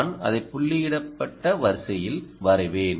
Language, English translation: Tamil, i will just draw it in dotted line